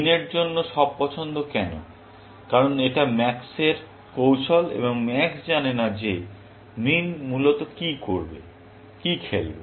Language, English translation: Bengali, Why all choices for min, because it is max’s strategy, and max does not know what min will play, essentially